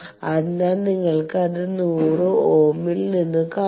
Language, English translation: Malayalam, So, you see that from 100 ohm you are first having 92